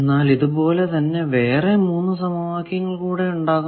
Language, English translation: Malayalam, Also I will have 3 more equations that 1 with the other